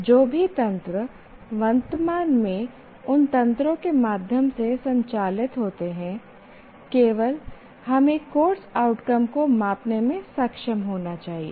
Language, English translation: Hindi, Whatever mechanisms that are presently operative, through those mechanisms only, we should be able to measure the outcomes of the course